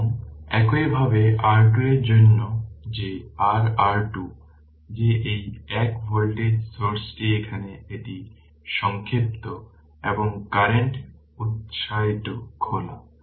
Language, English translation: Bengali, And similarly for R Thevenin that your R Thevenin that this one voltage source is here it is shorted and current source is open right